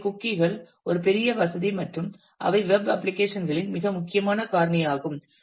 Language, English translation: Tamil, So, cookies are a big convenience and they are very important factor of the web applications